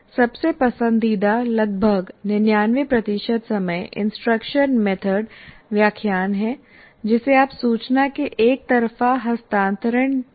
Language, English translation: Hindi, And the most preferred or the most 99% of the time the instruction method is really lecturing, which you can also call one way transfer of information